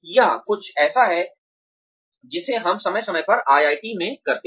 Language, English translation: Hindi, This is something that, we here at IIT do, from time to time